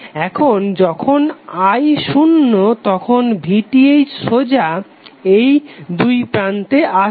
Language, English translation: Bengali, Now when current i is zero the VTh would be applied straightaway across this